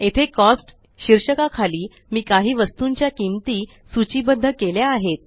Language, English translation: Marathi, Here, under the heading Cost, we have listed the prices of several items